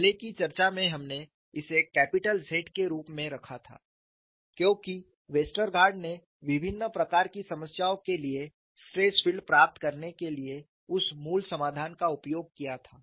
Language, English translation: Hindi, In the earlier discussion, we had kept it as capital Z, because Westergaard used that basic solution to get the stress field for a variety of problems